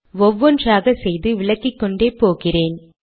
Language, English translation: Tamil, I am going to add one at a time and explain